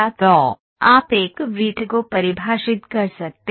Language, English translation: Hindi, So, you can define a circle